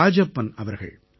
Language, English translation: Tamil, S Rajappan Sahab